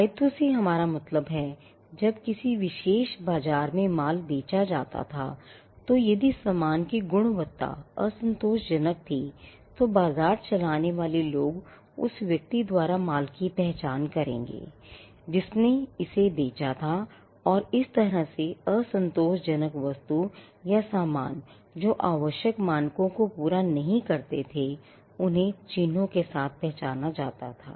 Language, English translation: Hindi, By liability we mean, a when goods were sold in a particular market and that market, they if the quality of the goods was unsatisfactory then, the people who ran the market would identify the goods by the person who had sold it and a way to identify unsatisfactory goods or goods we did not meet the required standards was by identifying them with the marks